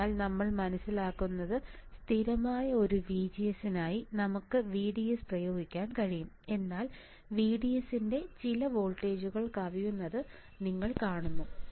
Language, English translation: Malayalam, So, what we understand is that for a constant VGS we can apply VDS, but you see exceed certain voltage of VDS we may see the breakdown effect